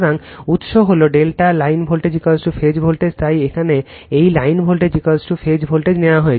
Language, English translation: Bengali, So, source is delta, line voltage is equal to phase voltage, that is why here it is taken line voltage is equal to phase voltage